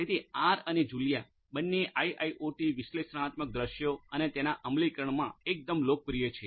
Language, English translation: Gujarati, So, both R and Julia are quite popular in the IIoT analytics scenarios and their implementation